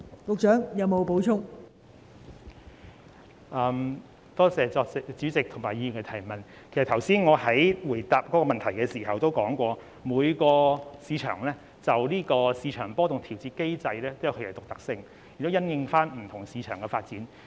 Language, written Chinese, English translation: Cantonese, 其實，我剛才在回答主體質詢時已提到，就市場波動調節機制來說，每個市場也有其獨特性，亦須因應不同市場的發展進行。, Actually as I said in my reply to the main question earlier insofar as volatility control mechanism is concerned each market is unique and adjustments have to be made in the light of the development of respective markets